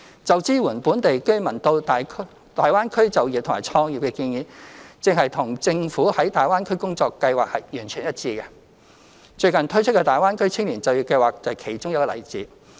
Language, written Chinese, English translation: Cantonese, 就支援本地居民到大灣區就業和創業的建議，正與政府在大灣區的工作計劃完全一致，最近推出的大灣區青年就業計劃便是其中一個例子。, The proposal to provide support for local residents in employment and entrepreneurship in the Guangdong - Hong Kong - Macao Greater Bay Area is fully in line with the Governments work plan in the Greater Bay Area . A case in point is the Greater Bay Area Youth Employment Scheme that has been introduced recently